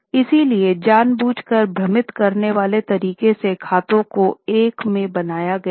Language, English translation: Hindi, So, deliberately the accounts were made in a confusing manner